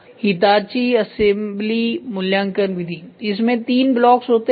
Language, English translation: Hindi, So, Hitachi assemelability evaluation method it has three blocks